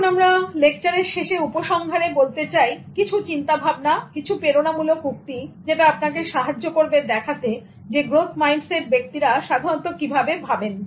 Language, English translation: Bengali, Now towards concluding this lecture, I just want to leave you with some thoughts, some inspiring quotations which tell you how people with growth mindset think normally